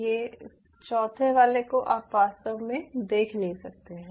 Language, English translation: Hindi, ok, a fourth one you really cannot see